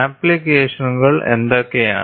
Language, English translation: Malayalam, What are the applications